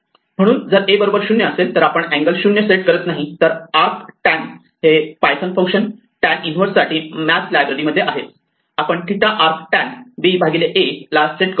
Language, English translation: Marathi, So, if a is 0, we set the angle to be 0; otherwise, this is the python function in the math library for tan inverse, arc tan, we set theta to be the arc tan b minus a b divided a